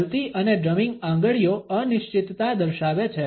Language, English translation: Gujarati, Fluttering and drumming fingers indicate uncertainty